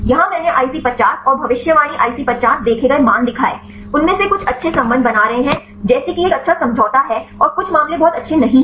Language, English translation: Hindi, Here I showed the values observed IC50 and the predicted IC50; some of them are having good relationship like this is having a good agreement and some cases it is not very good